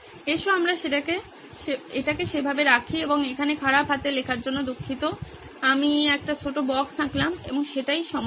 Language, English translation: Bengali, Let’s put it that way and sorry about the bad handwriting here I drew a small box and that was the problem